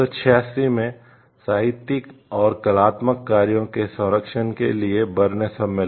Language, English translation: Hindi, Berne convention is for the protection of literary and artistic works in 1886